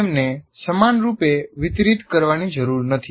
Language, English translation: Gujarati, Or they need not be evenly distributed